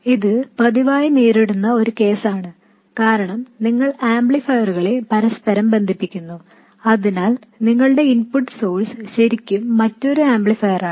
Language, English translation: Malayalam, This is a very frequently encountered case because I mean you connect amplifiers together so your input source is really another amplifier